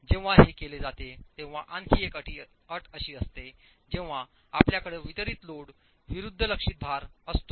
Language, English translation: Marathi, Another condition in which this is done is when you have concentrated loads versus distributed loads